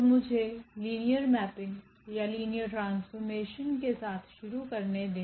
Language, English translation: Hindi, So, let me start with what is linear mapping or linear transformation